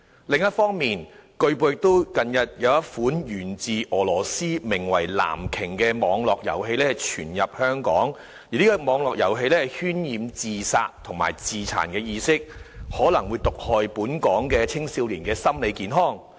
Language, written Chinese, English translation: Cantonese, 另一方面，據報近日有一款源自俄羅斯名為"藍鯨"的網絡遊戲傳入香港，而該遊戲渲染自殺及自殘意識，可能毒害本港青少年的心理健康。, On the other hand it has been reported that an online game named Blue Whale originated from Russia has recently found its way into Hong Kong . That game which promulgates ideas of suicide and self - mutilation may poison the psychological health of young people in Hong Kong